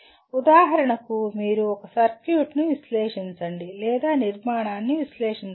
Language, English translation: Telugu, For example you can say analyze a circuit which is or analyze a structure